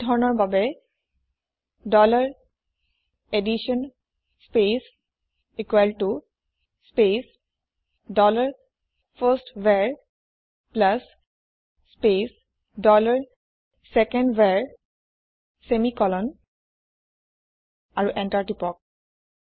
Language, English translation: Assamese, For this type dollar addition space equal to space dollar firstVar plus space dollar secondVar semicolonand Press Enter